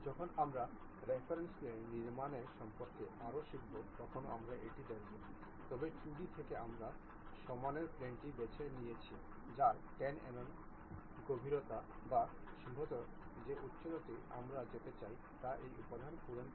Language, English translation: Bengali, When we are learning more about planes of reference constructing that we will learn about that, but from the 2D sketch whatever the plane the front plane we have chosen 10 mm depth or perhaps height we would like to really go by filling this material